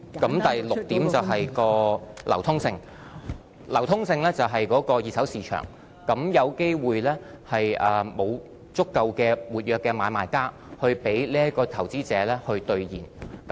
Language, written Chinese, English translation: Cantonese, 第六，便是數碼貨幣的流通性，流通性是指二手市場，有機會沒有足夠的活躍買賣家來讓投資者兌現數碼貨幣。, Sixth it is the liquidity risk of digital currencies . In a secondary market there may not be enough active buyers and sellers and hence investors may not be able to liquidate their digital currencies